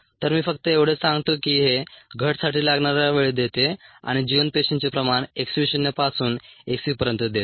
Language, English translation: Marathi, so let me just say this gives the time for the reduction and viable cell concentration from x v naught to x v